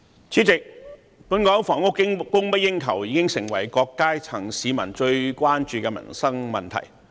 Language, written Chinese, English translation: Cantonese, 主席，本港房屋供不應求，已成為各階層市民最關注的民生問題。, President the short supply of housing in Hong Kong tops the list of livelihood issues that are of concern to people from various strata